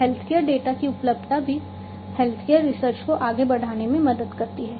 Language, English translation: Hindi, Availability of healthcare data also helps in advancing health care research